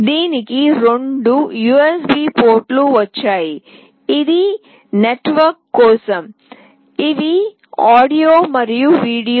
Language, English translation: Telugu, It has got two USB ports; this is for the network, these are audio and video